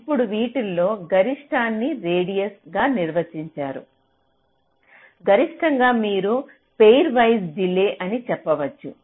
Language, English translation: Telugu, now the maximum of this that is defined as the radius maximum, you can say pair wise delay